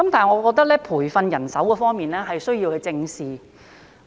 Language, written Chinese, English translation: Cantonese, 然而，在培訓人手方面，我覺得需要正視。, However as far as training is concerned we need to face it squarely